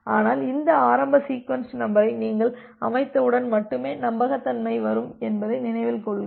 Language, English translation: Tamil, But, you remember that the reliability only comes that when you have set up this initial sequence number